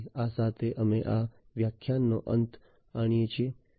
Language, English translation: Gujarati, So, with this we come to an end of this lecture